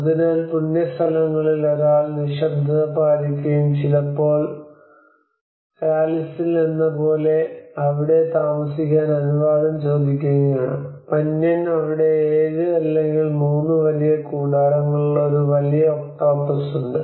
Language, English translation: Malayalam, So when in sacred places one must remain quiet and sometimes ask permission for being there like in Calis have sacred places Panyaan where there is a manlalabyot a large octopus with 7 or 3 large tentacles